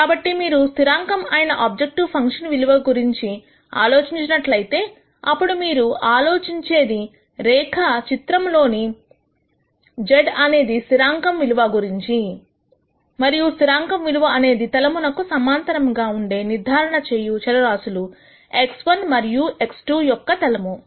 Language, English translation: Telugu, So, if you think about constant objective function values then what you think about is a constant z value in the previous graph, and a constant z value would be a plane which will be parallel to the plane of the decision variables x 1 and x 2